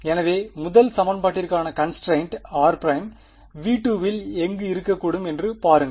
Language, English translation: Tamil, So, look at what the constraint r prime for the first equation can be anywhere in V 2 right